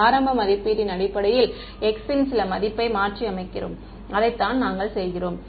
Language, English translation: Tamil, We are putting substituting some value based on an initial estimate of x that is what we are doing